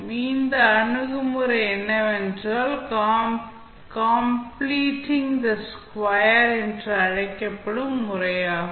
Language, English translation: Tamil, So, the approach is the method which is known as completing the square